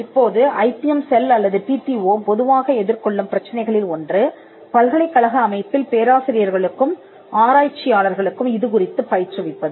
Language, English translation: Tamil, Now, one of the issues with which the IPM cell or the TTO normally face faces is in educating the professors and the researchers in the university set up